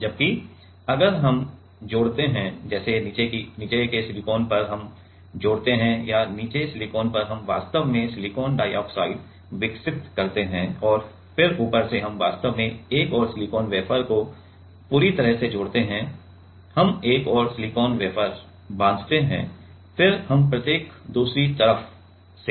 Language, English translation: Hindi, Whereas, if we add another like on the bottom silicon we connect or on the bottom silicon, we actually grow silicon dioxide and then from top we actually connect another silicon wafer completely, we bond another silicon wafer, then we each from the other side